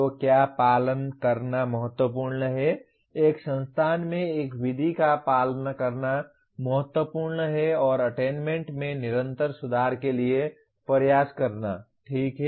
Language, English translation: Hindi, So what is important to follow is, what is important is to follow one method across an institute and strive for continuous improvement in attainment, okay